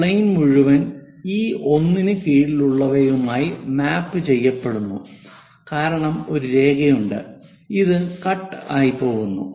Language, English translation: Malayalam, This entire plane these points everything mapped under this one, because there is a line which is going as a cut all the way down for this